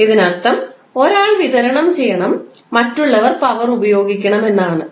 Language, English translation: Malayalam, It means 1 should supply the power other should consume the power